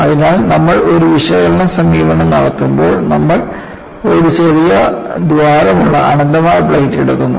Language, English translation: Malayalam, So, when you are doing an analytical approach, you take an infinite plate with a small hole